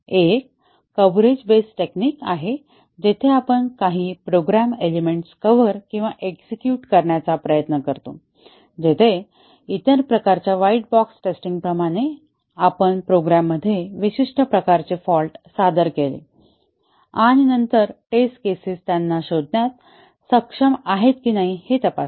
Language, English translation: Marathi, One is coverage based technique where we try to cover or execute certain program elements, where as in the other type of white box testing we introduced specific types of faults into the program and then, check whether the test cases are able to detect them